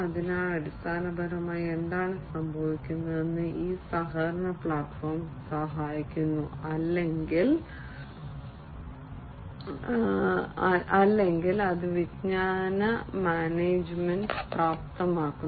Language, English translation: Malayalam, So, basically what is happening essentially is this collaboration platform is helping or, enabling knowledge management, it is enabling knowledge management